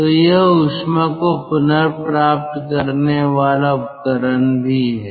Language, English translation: Hindi, so this is also a heat recovery device